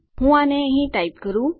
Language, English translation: Gujarati, Let me type it here